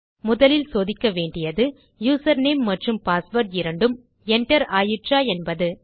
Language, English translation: Tamil, First of all, we will check whether both the user name and the password were entered